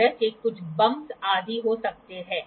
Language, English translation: Hindi, And there might be such certain bumps etc